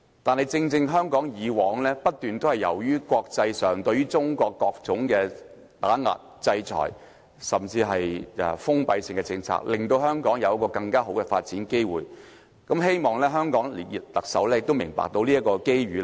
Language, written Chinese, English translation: Cantonese, 但是，正正由於國際上不斷對中國作出各種打壓、制裁，甚至採取封閉性的政策，香港因而有更好的發展機會，希望香港特首亦明白這個機遇。, This is also a fact . However exactly because of all these continuous backlashes sanctions or even protectionist policies against China internationally Hong Kong has better chances for development . I hope the Chief Executive of Hong Kong can see these opportunities too